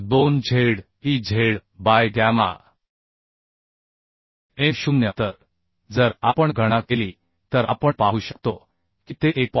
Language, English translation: Marathi, 2 Zez by gamma m0 So that if we calculate we can see that is 1